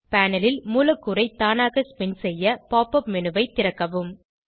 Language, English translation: Tamil, To automatically spin the molecule on the panel, open the Pop up menu